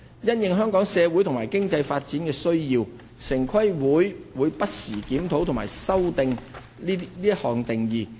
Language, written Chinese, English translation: Cantonese, 因應香港社會及經濟發展需要，城規會會不時檢討及修訂這項定義。, The TPB reviews and amends the definition of Industrial Use from time to time based on the social and economic development needs of Hong Kong